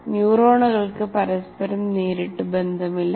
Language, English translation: Malayalam, Neurons have no direct contact with each other